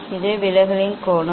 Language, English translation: Tamil, this is the angle of deviation